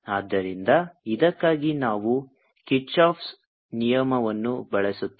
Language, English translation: Kannada, so we will use kirchhoff's law for this